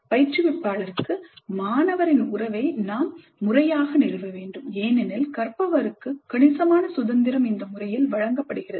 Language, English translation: Tamil, We must formally establish the relationship of the student to the instructor because there is considerable freedom given to the learner